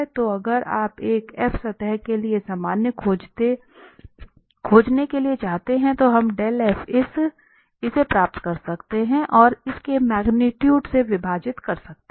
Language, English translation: Hindi, So if you want to find the normal vector to a surface f, then we can just get this dell f and divide by its magnitude